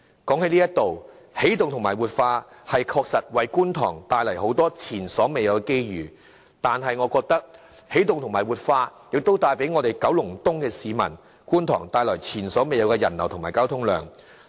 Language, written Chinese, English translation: Cantonese, 談到起動和活化九龍東，確實為觀塘帶來很多前所未有的機遇，但我認為亦同時為九龍東——觀塘——的市民帶來前所未有的人流和交通量。, The efforts in energizing and revitalizing Kowloon East did have brought unprecedented opportunities to people living in Kwun Tong but in my opinion it also serves to contribute to the unprecedented traffic flows and pedestrian flows in Kowloon East namely Kwun Tong